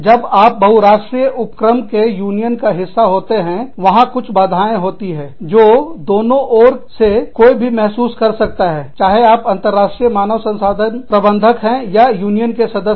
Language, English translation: Hindi, When, you are a part of a, multi national enterprise union, there are some obstacles, that one can come across, on both sides, if you are an international HR manager, or a union member